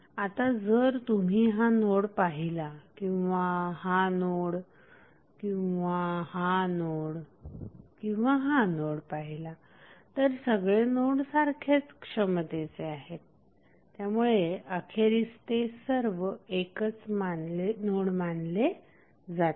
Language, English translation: Marathi, Now, if you see this node whether this is a or this node or this node all are act same potentials so eventually this will be considered as a single node